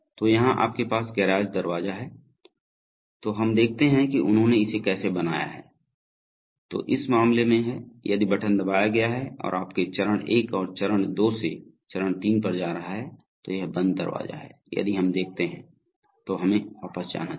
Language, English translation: Hindi, So here you have the garage door, so let us see how they have modeled it, so you have in this case, so if button is pressed and so you have step one going to step two going to step 3, this is the closed door, so if, let us see, let us go back